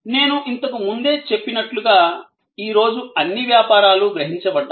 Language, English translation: Telugu, And as I mentioned earlier, in the way all businesses are perceived today